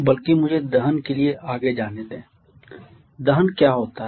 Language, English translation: Hindi, Rather let me proceed to combustion what is combustion